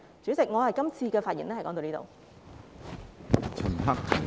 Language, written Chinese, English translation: Cantonese, 主席，我這次發言到此為止。, Chairman my speech this time ends here